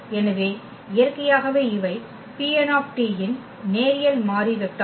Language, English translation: Tamil, So, naturally these are linearly independent vectors of P n t